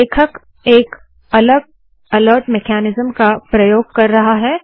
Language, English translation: Hindi, He uses a different alert mechanism